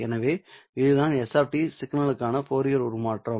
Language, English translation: Tamil, This is your Fourier transform representation